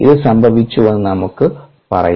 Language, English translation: Malayalam, ok, let us say that this happened